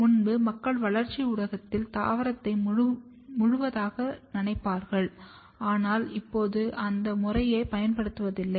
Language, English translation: Tamil, Previously people use to completely dip the plant in the culture and, but now that method is not used anymore